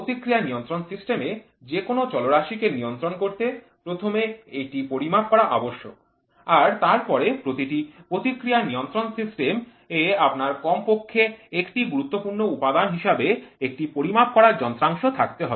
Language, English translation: Bengali, To control any variable in the in the feedback control system it is first necessary to measure it every feedback control system will you have at least one measuring device as a vital component